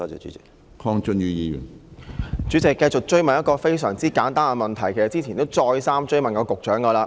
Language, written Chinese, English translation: Cantonese, 主席，我繼續追問一個非常簡單的問題，其實之前已再三追問局長。, President I continue to follow up on a very simple question which I have already asked the Secretary repeatedly before